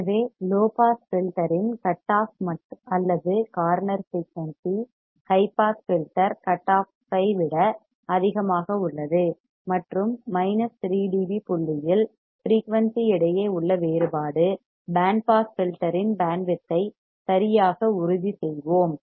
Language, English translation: Tamil, So, the cutoff or corner frequency of the low pass filter is higher than the cutoff high pass filter and the difference between the frequency at minus 3 d B point we will determine the band width of the band pass filter alright